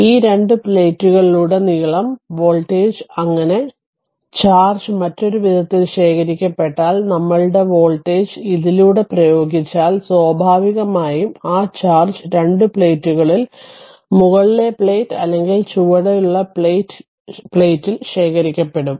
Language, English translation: Malayalam, And if voltage your what you call that applied across the your these two plates, so and if charge gets accumulated in other way, so our voltage if you apply across this, your two plates naturally your what you call that your charge will your accumulate either at the bottom plate or at the top plate